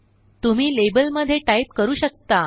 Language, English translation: Marathi, You can type into the label